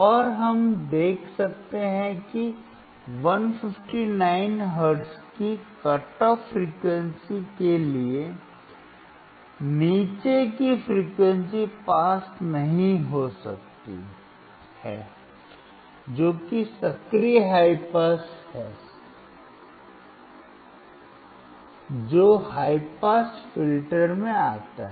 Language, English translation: Hindi, And we could see that for the cut off frequency of 159 hertz, below that the frequency could not pass that is the active high pass the high pass filter came into play